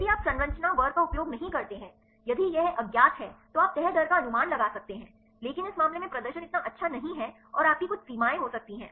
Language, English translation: Hindi, If you do not use the structure class, if it is unknown then you can predict the folding rate, but this case the performance is not so good and you can have some limitations